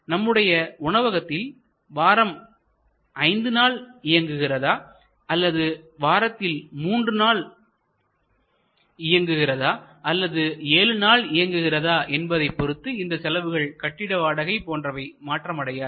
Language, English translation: Tamil, So, whether you run your restaurant 5 days in a week or you run your restaurant 3 days in a week or 7 days in a week, there are certain costs, which will remain unaltered like rent